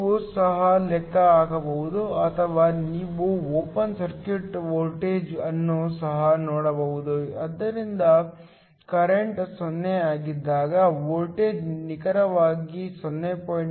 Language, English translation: Kannada, You can also calculate or you can also look at the open circuit voltage, so that when the current is 0, the voltage is exactly 0